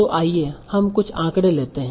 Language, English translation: Hindi, So let us take some statistics